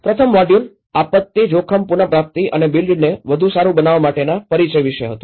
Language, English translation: Gujarati, The first module was about introduction to disaster risk recovery and the build back better